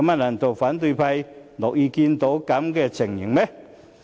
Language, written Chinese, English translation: Cantonese, 難道反對派議員樂見這種情形嗎？, Will Members of the opposition camp be glad to see this?